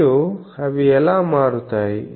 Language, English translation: Telugu, \ And how they vary